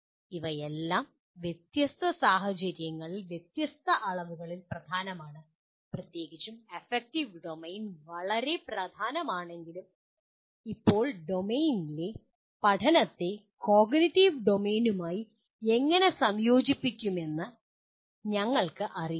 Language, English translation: Malayalam, While all the all of them are important to varying degrees in different situations, especially while affective domain is very important but as of now we really do not know how to integrate the learning in the affective domain with the cognitive domain